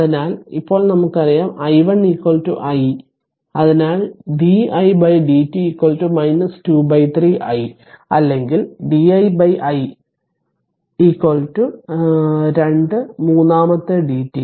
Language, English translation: Malayalam, So, now what we know that i 1 is equal to i therefore, di upon dt is equal to minus 2 upon 3 i right or di upon I is equal to minus two third dt